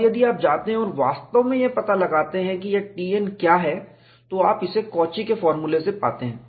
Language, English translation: Hindi, And if you go and really find out what is this T n, you get that from the Cauchy's formula